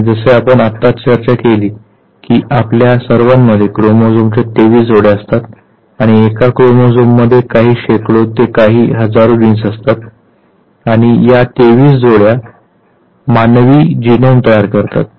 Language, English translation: Marathi, And as we discussed right now that we all have 23 pairs of chromosomes and a chromosomes has some few hundreds to few thousands genes and these 23 pairs of chromosomes they constitute the human genome